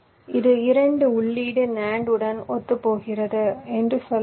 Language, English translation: Tamil, let say this corresponds to a, two input, nand